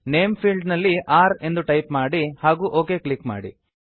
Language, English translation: Kannada, In the name field, type r and click on OK